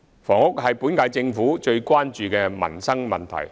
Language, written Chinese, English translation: Cantonese, 房屋是本屆政府最關注的民生問題。, Housing is a livelihood issue that the current Government is most concerned about